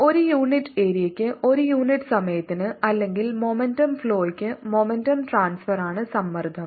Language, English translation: Malayalam, pressure is momentum transfer per unit area, per unit time, or momentum flow